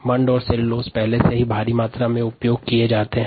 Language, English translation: Hindi, starch and cellulose are already heavily used